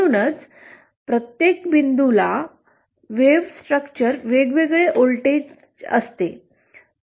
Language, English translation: Marathi, That is why, each point has a different voltage depending on the wave structure